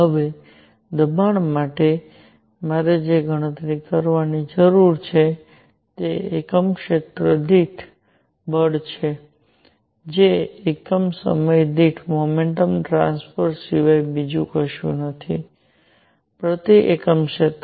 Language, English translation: Gujarati, Now, for pressure what I need to calculate is force per unit area which is nothing, but momentum transfer per unit time; per unit area